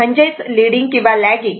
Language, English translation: Marathi, It mean is a leading or lagging, right